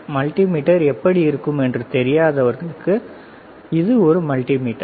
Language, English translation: Tamil, For those who do not know how multimeter looks like for them, this is the multimeter